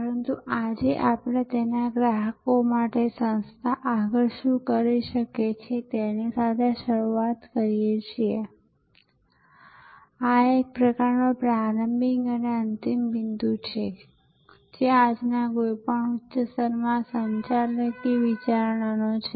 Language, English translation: Gujarati, But, today we start with what the organization can do further for it is customers, this is kind of a starting point and ending point today of any such higher level managerial consideration